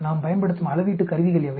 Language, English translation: Tamil, What are the measurement tools we use